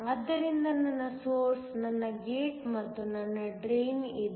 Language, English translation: Kannada, So, I have my source, my gate and my drain